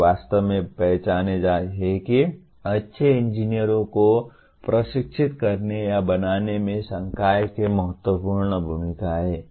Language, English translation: Hindi, They really recognize that the crucial role of faculty in making or leading to training good engineers